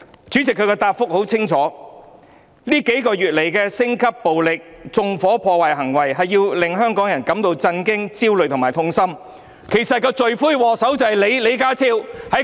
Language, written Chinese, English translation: Cantonese, 主席，他的答覆很清楚：這數個月來升級的暴力，包括縱火和破壞行為，令香港人感到震驚、焦慮和痛心，其實罪魁禍首正是李家超！, How dare he still show his face to proffer an explanation! . President his reply is clear The escalating violence in these four months or so as well as incidents of setting fire and vandalism has caused shock anxiety and pain among all Hong Kong people . Actually the culprit is John LEE!